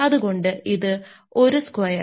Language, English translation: Malayalam, So, that is should be 1 square